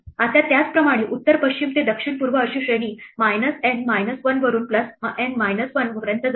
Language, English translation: Marathi, Now, similarly for the north west to south east the range goes from minus N minus minus N minus 1 to plus N minus 1